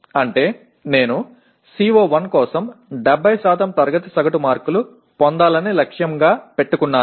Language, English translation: Telugu, That means I aim to get 70% class average marks for CO1